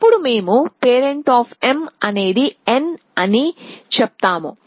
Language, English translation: Telugu, So, let us say these are the successors of n